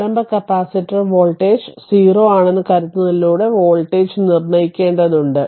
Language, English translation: Malayalam, You have to determine the voltage across it assuming initial capacitor voltage is 0 right